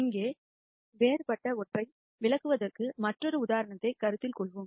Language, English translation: Tamil, Let us consider another example for us to illustrate something different here